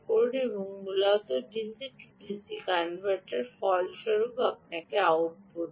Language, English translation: Bengali, this is basically a, d, c, d c converter and that in turn gives you ah a output